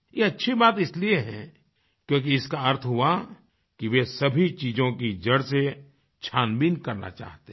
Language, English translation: Hindi, It is good as it shows that they want to analyse everything from its very root